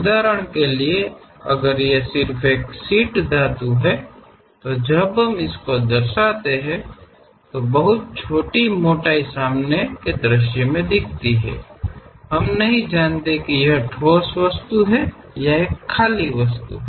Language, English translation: Hindi, For example, if it is just a sheet metal, a very small thickness when we are representing it; at the front view, we do not know whether it is a solid object or it is a hollow one